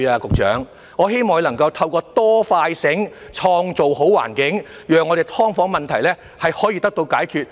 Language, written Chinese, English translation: Cantonese, 局長，我希望你能夠透過"多、快、醒"來創造好環境，讓我們的"劏房"問題可以得到解決。, Secretary I hope you can build a better environment with greater concern faster response and smarter servicesso that our problem of SDUs can be solved